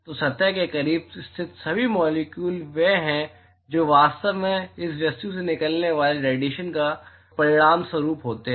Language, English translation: Hindi, So, all the molecules which are located close to the surface are the ones which are actually resulting in the radiation which is emitted out of this object